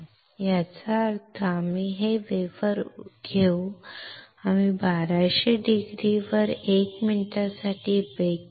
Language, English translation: Marathi, That means, we will take this wafer, we will post bake it at 1200C for 1 minute